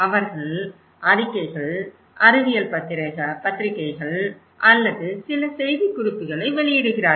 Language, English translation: Tamil, They publish reports, their scientific journals or maybe they do some press release